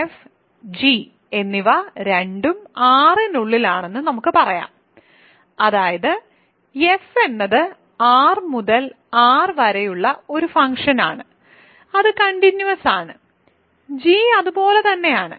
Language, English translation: Malayalam, So, let us say f and g are both inside R; that means, f is a function from R to R which is continuous, so, is g